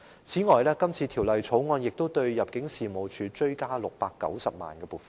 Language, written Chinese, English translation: Cantonese, 此外，《條例草案》亦就入境事務處追加690萬元撥款。, Moreover a supplementary provision of 6.9 is sought under the Bill for the Immigration Department ImmD